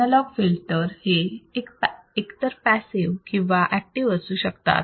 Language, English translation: Marathi, Analog filters may be classified either as passive or active